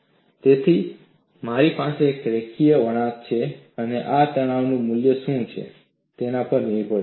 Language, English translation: Gujarati, So, I am going to have a linear curve and this depends on what is the value of stress